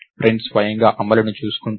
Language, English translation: Telugu, So, the print itself takes care of the implementation